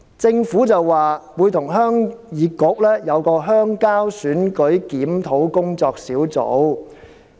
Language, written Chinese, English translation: Cantonese, 政府說會與鄉議局舉行鄉郊選舉檢討工作小組會議。, The Government said that the Rural Election Review Working Group would conduct a meeting with HYK